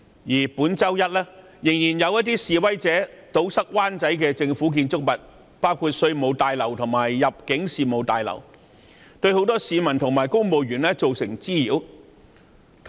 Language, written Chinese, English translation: Cantonese, 此外，本周一仍有示威者堵塞灣仔的政府建築物出入口，包括稅務大樓及入境事務大樓，對很多市民及公務員造成滋擾。, The siege was a serious challenge to the rule of law . Worse still access to government buildings in Wan Chai including the Revenue Tower and the Immigration Tower was blocked by protesters this Monday causing nuisance to many people and civil servants